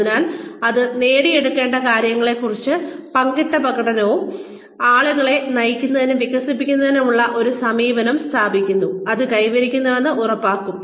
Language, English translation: Malayalam, So, as such, it establishes shared learning about, what is to be achieved, and an approach to leading and developing people, which will ensure that, it is achieved